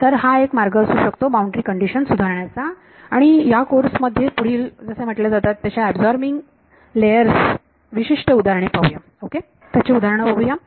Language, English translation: Marathi, So, this is one way of improving boundary condition and in this course we will look at further on specific examples of these absorbing layers as they are called ok